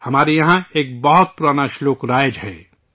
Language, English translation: Urdu, We have a very old verse here